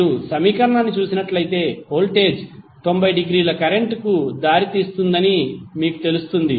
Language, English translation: Telugu, If you see this particular equation you will come to know that voltage is leading current by 90 degree